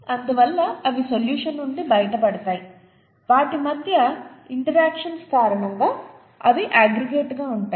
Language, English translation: Telugu, Therefore they fall out of solution, they aggregate because of the interactions between them